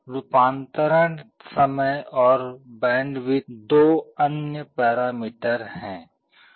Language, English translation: Hindi, Conversion time and bandwidth are two other parameters